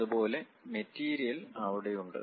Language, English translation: Malayalam, Similarly, material is present there